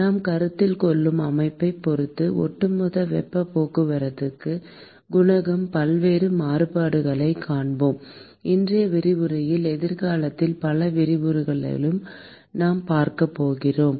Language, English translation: Tamil, And we will see many different variations of the overall heat transport coefficient, depending upon the system that we are considering; that we are going to see in today’s lecture and several lectures in future